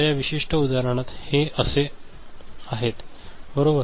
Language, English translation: Marathi, So, in this particular example, this is like this, right